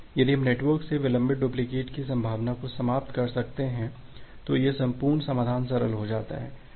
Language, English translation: Hindi, If we can eliminate the possibility of delayed duplicate from the network, then this entire solution become simple